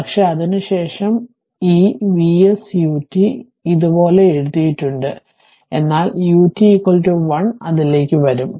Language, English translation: Malayalam, But, after that this V s U t V s U t it is written like this right, but U t is equal to your 1